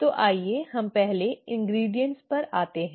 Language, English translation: Hindi, So let us come to the ingredients first